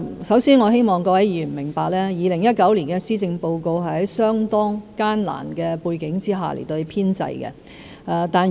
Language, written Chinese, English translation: Cantonese, 首先，我希望各位議員明白 ，2019 年施政報告是在相當艱難的背景下編製的。, First of all I hope Honourable Members will understand that the 2019 Policy Address was prepared against a rather difficult background